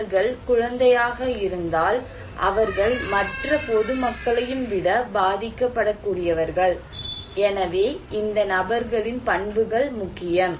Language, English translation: Tamil, If they are kids, they are also vulnerable than other common people, so the characteristics of these people that matter right